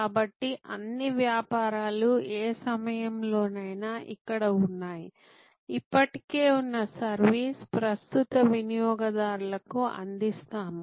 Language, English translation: Telugu, So, all businesses are here at any point of time, existing service being offer to existing customers